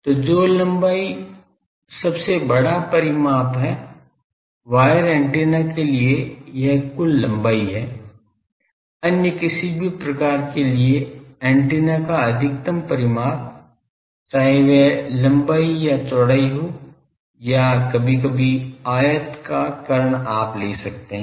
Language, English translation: Hindi, So, the length which is the largest dimension, for wire antennas this is the total length, for other any other type the maximum dimension of the antenna; whether it is length or breadth or sometimes maybe the rectangle I the diagonal you can take